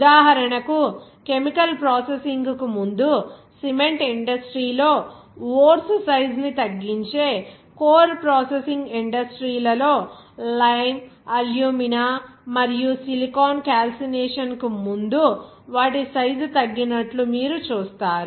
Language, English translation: Telugu, For example, in the core processing industries, where ores reduce in size before chemical processing and in the cement industry, you will see that lime, Alumina, and silica reduced in their size before calcination